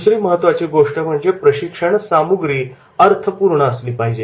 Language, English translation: Marathi, Another important is that is the content should be meaningful